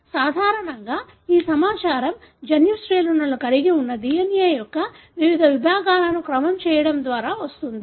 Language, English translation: Telugu, So, normally this information comes from sequencing different segments of the DNA that contain the gene sequences